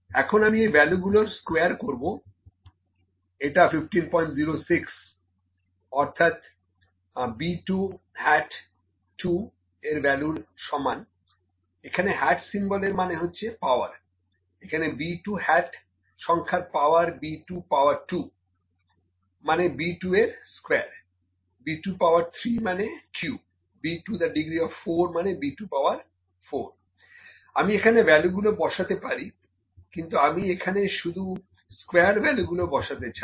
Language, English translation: Bengali, 06 of value B 2 hat 2, the symbol hat here means the power, the power of the number B 2 hat means, B 2 power 2, B 2 power 2 would be square B 2, B 2 power 3 would cube, would be the cube of B 2 B 2 to the degree of 4, maybe B 2 power 4, I can put the values here, but I just I am not interested in the square here